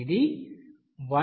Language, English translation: Telugu, It is coming 1